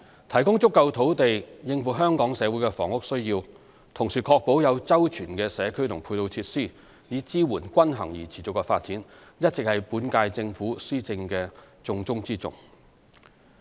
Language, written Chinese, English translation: Cantonese, 提供足夠土地應付香港社會的房屋需要，同時確保有周全的社區及配套設施以支援均衡而持續的發展，一直是本屆政府施政的重中之重。, It has long been the top priority for the current - term Government to supply Hong Kong with adequate land to meet the housing needs of the community while ensuring the availability of comprehensive community and ancillary facilities in support of balanced and sustainable development